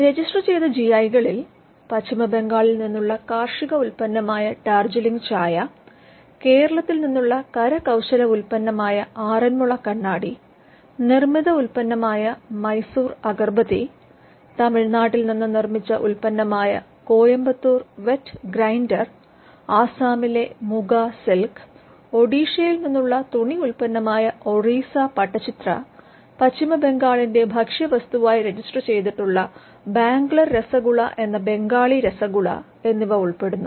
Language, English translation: Malayalam, Some registered GI is include Darjeeling tea, which is an agricultural product belonging to West Bengal, Aranmula Kannadi which is a handicraft product from Kerala, Mysore Agarbathi which is a manufactured product, Coimbatore wet grinder again a manufactured product from Tamilnadu, Muga silk of Assam again a handicraft from Assam, Orissa pattachitra which is a textile product from Odisha